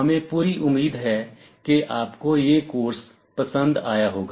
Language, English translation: Hindi, We sincerely hope you have enjoyed this course